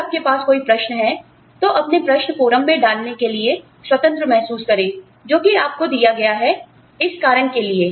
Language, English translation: Hindi, If you have any questions, please feel free to post your questions, on the forum, that has been provided, for the purpose